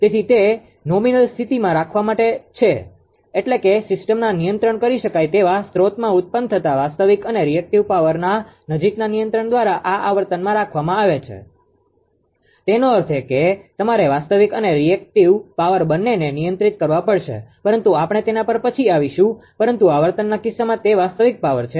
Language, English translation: Gujarati, So, it is kept in the nominal state, I mean in this frequency right by close control of the real and reactive power generated in the controllable sources of the system ; that means, you have to ah control both real and reactive power , but later, we will come to that, but frequency case it is a real power right